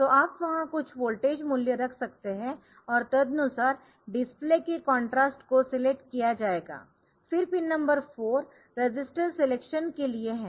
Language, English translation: Hindi, So, you can put some voltage value there accordingly the contrast of the display will be selected then the pin number 4 is for the register selection